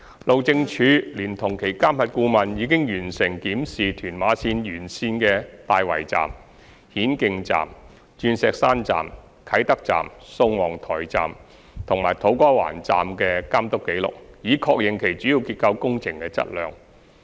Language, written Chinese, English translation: Cantonese, 路政署聯同其監核顧問已完成檢視屯馬綫沿線的大圍站、顯徑站、鑽石山站、啟德站、宋皇臺站及土瓜灣站的監督紀錄，以確認其主要結構工程的質量。, HyD and its monitoring and verification consultant completed the review of supervision records for Tai Wai Station Hin Keng Station Diamond Hill Station Kai Tak Station Sung Wong Toi Station and To Kwa Wan Station along TML to confirm the works quality of the major structure